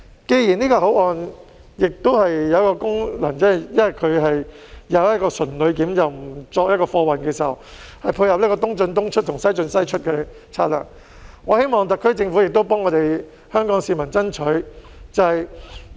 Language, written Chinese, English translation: Cantonese, 既然這個口岸的功能只是純旅檢，不作貨運，以配合"東進東出、西進西出"的策略，我希望特區政府也為香港市民爭取便利。, Since this port serves the sole purpose of passenger clearance and is not for freight transport so as to tie in with the strategy of East in East out West in West out I hope that the SAR Government also strives to bring about convenience for Hong Kong people